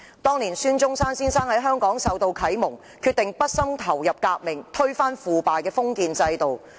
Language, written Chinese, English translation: Cantonese, 當年孫中山先生在香港受到啟蒙，決定畢生投身革命，推翻腐敗的封建制度。, Back then Dr SUN Yat - sen was enlightened in Hong Kong and he decided to devote his lifetime to the revolution to overthrow the corrupt feudal system